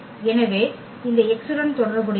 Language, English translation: Tamil, So, F x is equal to x